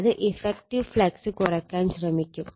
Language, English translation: Malayalam, That means, effective flux will be getting reduced